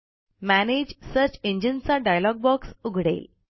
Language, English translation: Marathi, The Manage Search Engines list dialog box pops up